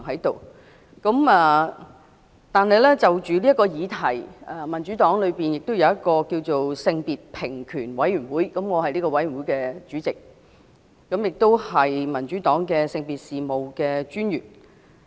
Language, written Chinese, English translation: Cantonese, 但是，就此議題，民主黨有一個性別平權委員會，我是這個委員會的主席，也是民主黨性別平等專員。, However with regards to this issue the Democratic Party has a gender equality committee and I am the chairperson of this committee . I am also the gender affairs coordinator of the Democratic Party